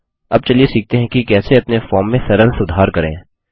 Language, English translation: Hindi, Next, let us learn how to make simple modifications to our form